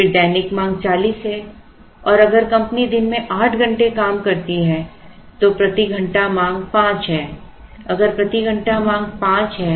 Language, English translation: Hindi, Then the daily demand is forty if the company works for eight hours a day then the hourly demand is five if the hourly demand is five